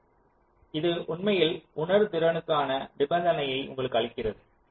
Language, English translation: Tamil, so this actually gives you the condition for sensitibility